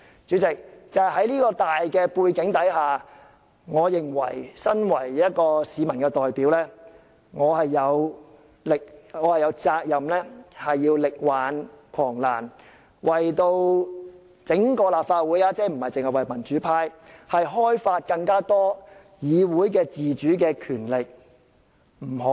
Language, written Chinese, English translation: Cantonese, 主席，在這種大背景下，身為市民的代表，我認為我有責任力挽狂瀾，不僅為民主派，亦為整個立法會開發更多議會的自主權力。, President against this general background I as a representative of the people consider that I am obliged to do my level best to turn the tide not only for the pro - democracy camp but also to explore greater autonomy for the Legislative Council as a legislature